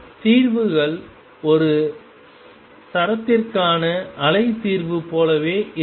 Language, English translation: Tamil, And the solutions exactly like the wave solution for a string